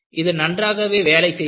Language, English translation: Tamil, And it has worked well